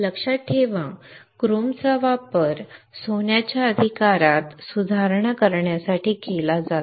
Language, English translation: Marathi, Remember chrome is used to improve the addition of gold right